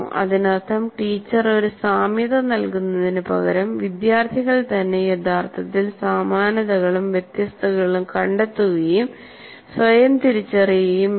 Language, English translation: Malayalam, That means instead of teacher giving that, you provide an analogy and make the students actually find out, identify for themselves similarities and differences